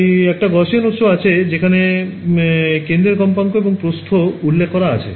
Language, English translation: Bengali, So, they give a Gaussian source where they specify the centre frequency and the width